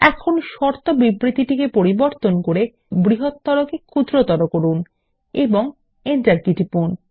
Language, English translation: Bengali, Now, in the condition statement lets change greater than to less than and press the Enter key